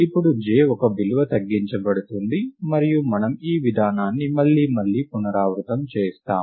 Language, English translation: Telugu, And now j is decremented by one and then we repeat this procedure all over again